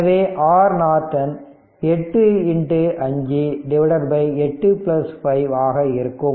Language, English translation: Tamil, So, R Norton will be is equal to your 8 plus 5